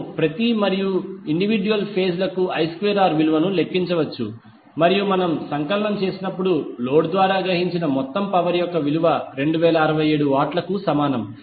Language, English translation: Telugu, We can just calculate the value of I square r for each and individual phases and when we sum up we get the value of total power absorbed by the load is equal to 2067 watt